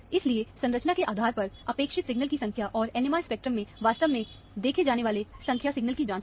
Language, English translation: Hindi, So, check for the number of signals that is expected, based on the structure, and the number signals that is actually seen in the NMR spectrum